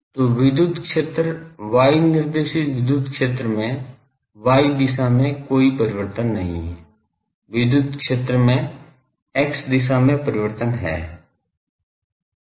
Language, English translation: Hindi, So, electric field is y directed electric field does not have any variation in the y direction; electric field has variation in the x direction